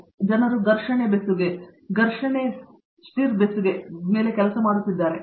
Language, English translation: Kannada, So, people are also working on friction welding, friction stir welding